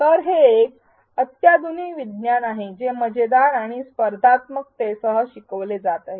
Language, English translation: Marathi, So, this is cutting edge science which is being learned along with an element of fun and competitiveness